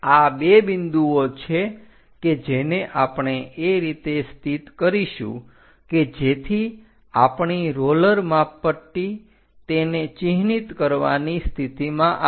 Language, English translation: Gujarati, These are the points what we are going to locate it in such a way that our roller scale through that we will be in a position to mark